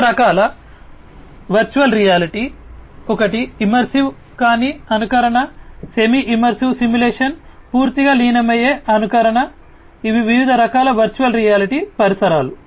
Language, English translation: Telugu, Different types of virtual reality; one is non immersive simulation, semi immersive simulation, fully immersive simulation these are different types of virtual reality environments